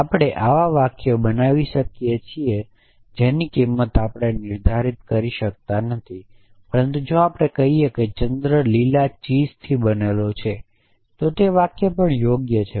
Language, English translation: Gujarati, So, we can make such sentences whose value we cannot determine, but never thus they had they qualify a sentence if I say the moon is made of green cheese that is also sentence